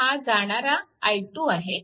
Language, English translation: Marathi, So, it is i 1